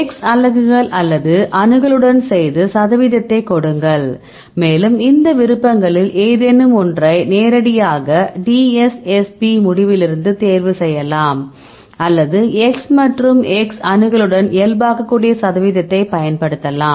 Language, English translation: Tamil, You would do it with the X units, or accessibility and give the percentage and, you can choose any of these options either the directly from the DSSP result, or you can use the percentage you can normalize with the X and X accessibility